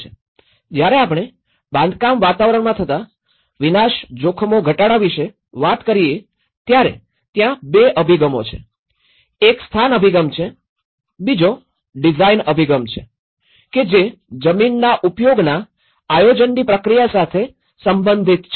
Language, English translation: Gujarati, When we talk about the reducing disaster risks in the built environment, there are 2 approaches to it; one is the location approach, the second one is the design approach